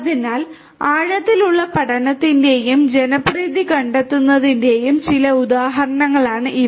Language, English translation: Malayalam, So, these are some of these examples of deep learning and where it is finding popularity